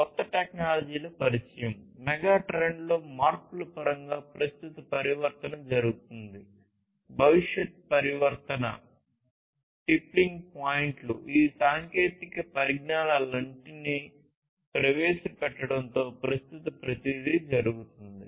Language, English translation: Telugu, Introduction of newer technologies, transformation overall, current transformation in terms of changes in the megatrends that are happening, future transformation the tippling points, everything are happening at present with the introduction of all of these technologies